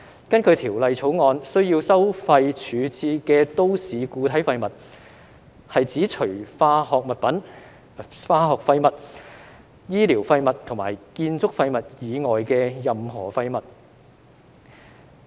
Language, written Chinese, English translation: Cantonese, 根據《條例草案》，需要收費處置的都市固體廢物，是指除化學廢物、醫療廢物及建築廢物以外的任何廢物。, According to the Bill MSW disposal to be charged includes any waste except chemical waste clinical waste and construction waste